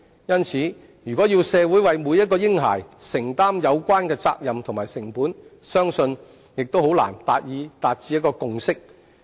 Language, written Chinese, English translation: Cantonese, 因此，我相信如果要社會為每名嬰孩承擔有關責任及成本，將難以達致共識。, Hence I believe that if such responsibilities and costs are to be borne by the community for each baby it will be difficult to reach a consensus